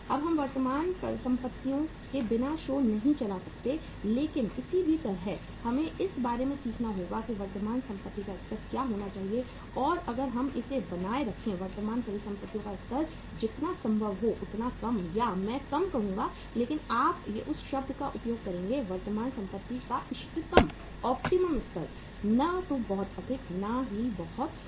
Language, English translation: Hindi, Now we cannot run the show without the current assets but anyhow we have to learn about that what should be the level of current assets and if we keep the level of current assets as low as possible or I would say low but you would use the word that is optimum level of the current assets, neither too high nor too low